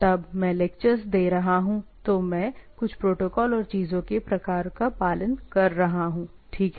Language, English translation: Hindi, When I, when I am delivering lectures I am following some protocols and type of things and there is a way of looking at it, right